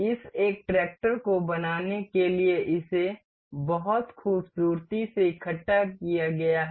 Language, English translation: Hindi, This is been very beautifully assembled to form this one tractor